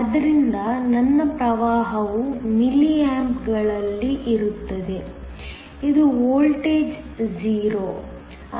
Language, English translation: Kannada, So, my current will be in milliamps, this is the voltage 0